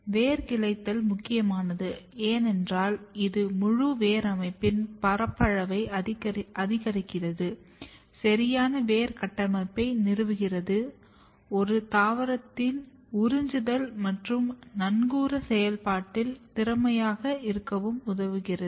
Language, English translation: Tamil, And this is very important root branching basically increase the surface area of entire root system, it establishes a proper root architecture and which is very important for plant to be efficient in absorption and anchorage function of a plant